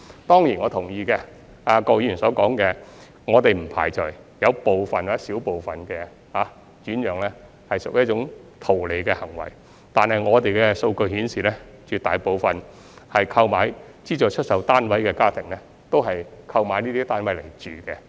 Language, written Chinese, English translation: Cantonese, 當然，我同意郭議員所說的，我們不排除有部分或小部分轉讓屬於圖利行為，但我們的數據顯示，絕大部分購買資助出售單位的家庭都是作自住用途。, Of course I agree with Mr KWOK that we do not rule out the possibility that some or a small number of the alienation are for profit but our data show that the vast majority of the families buying SSFs did so for self - occupation